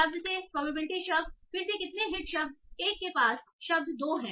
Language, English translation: Hindi, Probability word 1 word 2, again how many hits word 1 near word 2